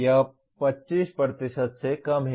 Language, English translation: Hindi, It is less than 25%